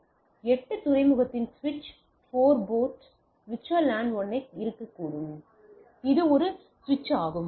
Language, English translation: Tamil, So that means, a switch where if a switch of a 8 port can 4 port can be VLAN 1